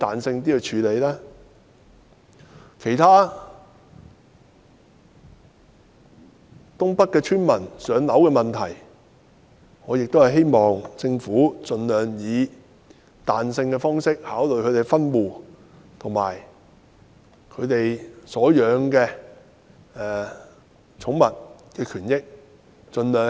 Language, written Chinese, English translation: Cantonese, 至於其他有關東北地區村民"上樓"的問題，我亦希望政府盡量彈性考慮他們的分戶要求，以及所飼養寵物的權益。, As to other matters relating to the allocation of housing to villagers in NENT I also hope that the Government will as far as practicable deal with their requests for household splitting and the rights of their pets with flexibility